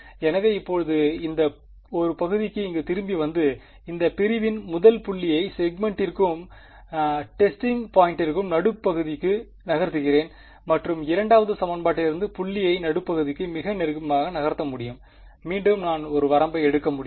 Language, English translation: Tamil, So, now, coming back to this one segment over here the first point over here I can move it in a limit very close to the midpoint of the segment and the testing point from the 2nd equation I can move it very close to the middle of the segment, again I can take a limit ok